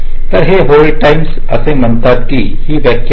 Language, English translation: Marathi, so this, this hold times, says this is the definition